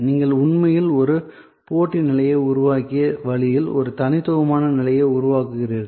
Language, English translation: Tamil, And this is the way you actually created competitive position, you create a distinctive position